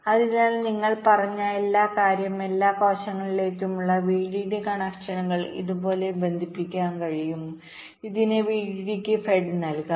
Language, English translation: Malayalam, so what you said is that the vdd connections across all the cells can be connected like this